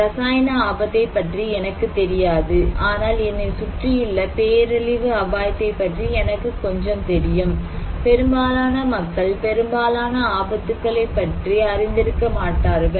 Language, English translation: Tamil, I do not know what everything in my life, there is so many things are happening, I do not know about a chemical risk maybe I know little about disaster risk around me, most people cannot be aware of the most of the dangers most of the time